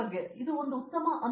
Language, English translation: Kannada, So, it was a great experience